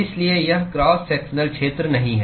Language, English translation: Hindi, So, it is not the cross sectional area